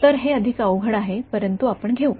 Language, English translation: Marathi, So, it is a more cumbersome, but we can take